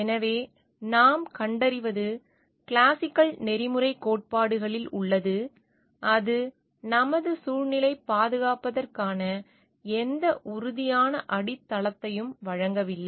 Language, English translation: Tamil, So, what we find is that there is in the classical ethical theory is there, is it does not provide any solid ground for protecting our environment